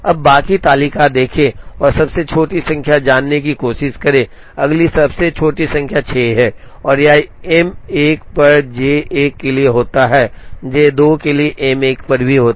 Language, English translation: Hindi, Now, look at the rest of the table and try to find out the smallest number, the next smallest number is 6 and it happens to be on M 2 for J 1 and also happens to be on M 1 for J 2